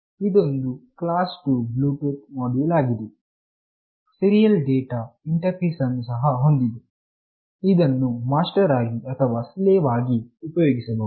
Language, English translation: Kannada, It is a class 2 Bluetooth module with serial data interface that can be used as either master or slave